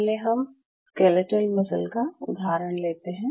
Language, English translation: Hindi, Let us take the example of skeletal muscle first